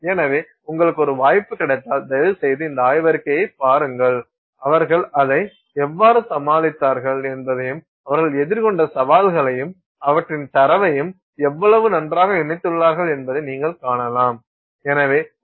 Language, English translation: Tamil, So, if you get a chance, please take a look at this paper and you can see how well they have put it all together, the challenges they faced, how they overcame it, and also their data